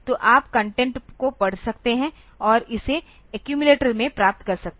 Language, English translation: Hindi, So, you can read the content and get it into the accumulated